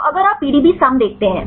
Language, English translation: Hindi, So, if you look at the PDBsum right